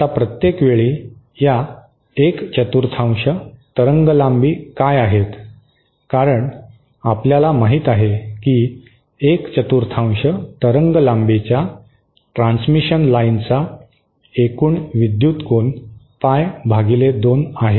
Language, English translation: Marathi, Now everytime, what these quarter wavelengths, as we know total electrical angle of a quarter wavelength transmission line is pie by 2